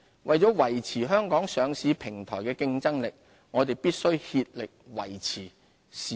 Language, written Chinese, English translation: Cantonese, 為了維持香港上市平台的競爭力，我們必須竭力維護市場質素。, To keep our listing platform competitive we must do our utmost to uphold market quality